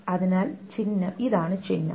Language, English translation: Malayalam, So this is the symbol